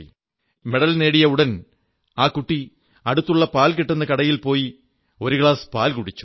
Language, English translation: Malayalam, The moment Rajani won the medal she rushed to a nearby milk stall & drank a glass of milk